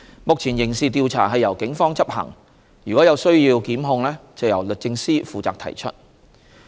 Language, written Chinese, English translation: Cantonese, 目前，刑事調查由警方執行；如有需要檢控，則由律政司負責提出。, At present criminal investigations are conducted by the Police and prosecutions if so required are initiated by the Department of Justice